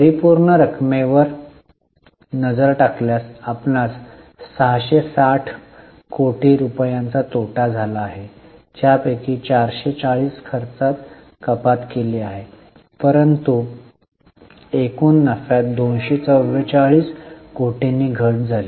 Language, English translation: Marathi, If you look at the absolute amounts, you can understand 660 crore loss of revenue, of which 440 was made up by reduction in expenses, but overall reduction in profit by 244 crore